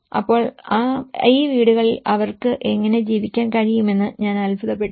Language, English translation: Malayalam, So, I was wondering how could they able to live in these houses